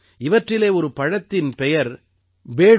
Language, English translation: Tamil, One of them is the fruit Bedu